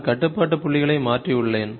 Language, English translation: Tamil, I have just changed the control points